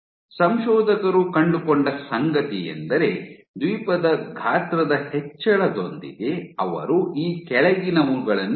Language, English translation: Kannada, What you see what the authors found was with increase in Island size, they observe the following thing